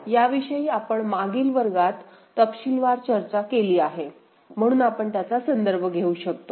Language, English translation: Marathi, So, this we have discussed in detail in the previous class ok, so we can refer to that